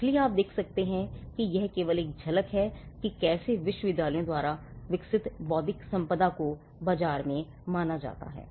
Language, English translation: Hindi, So, you can see how important this is just a glimpse of how intellectual property developed by universities has been perceived in the market